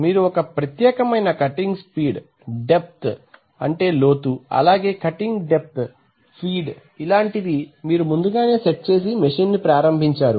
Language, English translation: Telugu, You have set a particular cutting speed, depth, depth of cut, feed, you have set and the machine is rotating